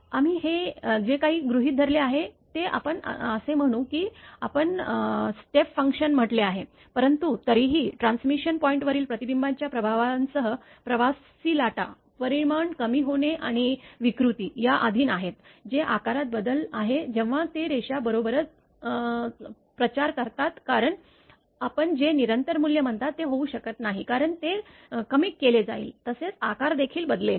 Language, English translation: Marathi, Whatever we have assumed let us say we are what you call step function, but anyway in general addition to the effects of reflection at transmission point traveling waves are also subject to both attenuation, decrease in magnitude as well as distortion that is the change in shape right as they propagate along the line right because it cannot be your what you call constant value it will be attenuated as well as shape will also change right